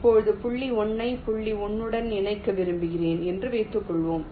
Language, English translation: Tamil, now let say, suppose i want to connect point one to point one